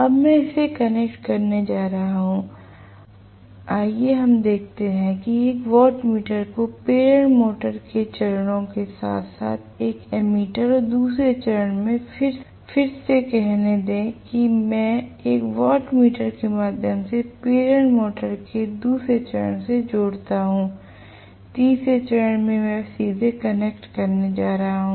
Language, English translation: Hindi, Now, I am going to connect this through let us say a watt meter to the phases of the induction motor along with an ammeter and second phase let me say again I am connecting through a watt meter to the second phase of the induction motor, third phase I am going to connect it directly